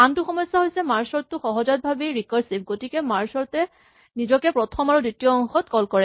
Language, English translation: Assamese, The other problem with merge sort is that it is inherently recursive and so, merge sort calls itself on the first half and the second half